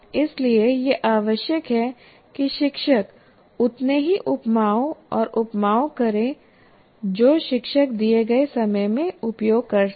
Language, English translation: Hindi, So it is necessary the teacher uses many as many similes and analogies that one can, the teacher can make use of in the given time